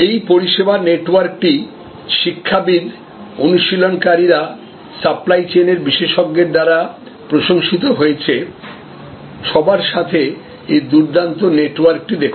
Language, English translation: Bengali, This service network is admired by academicians, by practitioners, the people who are supply chain experts; look at this wonderful network with all